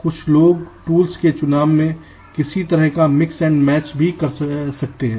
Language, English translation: Hindi, some people they also do some kind of a mix and match